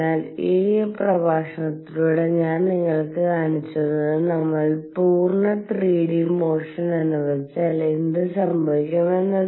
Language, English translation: Malayalam, So, what I have shown through you through this lecture in this is that if we allow full 3 d motion, what happens